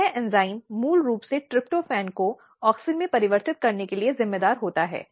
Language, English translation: Hindi, This enzyme is basically responsible for converting tryptophan into auxin